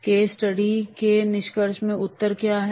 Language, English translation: Hindi, In the concluding of the case study, what is the answer